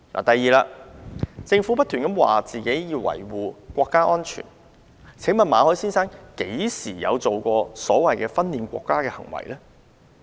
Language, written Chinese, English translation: Cantonese, 第二，政府不斷表示要維護國家安全。馬凱先生何時作出所謂"分裂國家"的行為？, Secondly while the Government keeps saying that it is duty - bound to safeguard national security when did Mr MALLET engage in the so - called acts of secession?